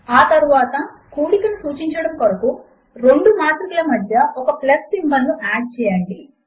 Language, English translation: Telugu, Next, let us add a plus symbol in between these two matrices to denote addition